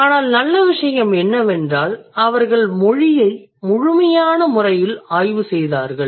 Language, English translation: Tamil, But the good thing that they did is that they studied language in the most thorough manner